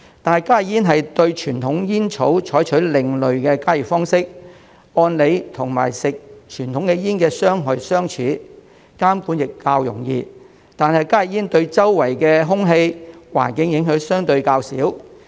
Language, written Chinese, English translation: Cantonese, 但加熱煙對傳統煙草採用另類的加熱方式，按理與吸食傳統煙的傷害相似，監管亦較容易，但加熱煙對周圍的空氣、環境影響相對較少。, However for HTPs which use an alternative method for heating conventional tobacco it stands to reason that they can do similar harm as smoking conventional cigarettes and regulation is hence easier